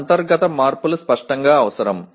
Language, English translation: Telugu, These internal changes are obviously necessary